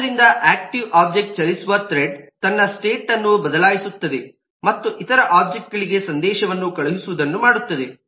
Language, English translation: Kannada, so the thread on which the active object runs will by itself manage, change its state and, for doing whatever it is to do, send message to other objects